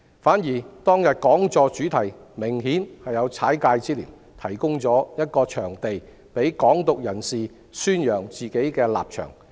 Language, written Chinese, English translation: Cantonese, 反之，當日講座的主題明顯有"踩界"之嫌，提供了一個場地讓"港獨"人士宣揚自己的立場。, In reality the theme of the seminar held that day has apparently overstepped the line given that FCC has provided a venue for an activist of Hong Kong independence to propagate his position